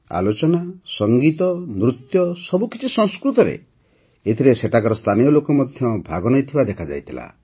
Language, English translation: Odia, Dialogues, music, dance, everything in Sanskrit, in which the participation of the local people was also seen